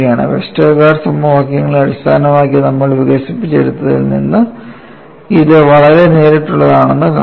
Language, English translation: Malayalam, See this is very direct from whatever we have developed based on Westergaard’s equations; this is what you will have to appreciate